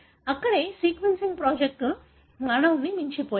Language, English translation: Telugu, That is where the, sequencing projects have gone on beyond human